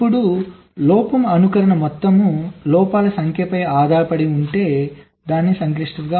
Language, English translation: Telugu, now the complexity if fault simulation depends on the total number of faults